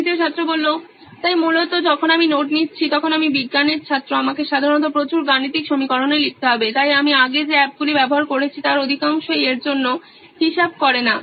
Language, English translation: Bengali, So basically while I am taking notes I’m science student I usually need to write in lot of mathematical equations, so most of the apps which I have used before does not account for that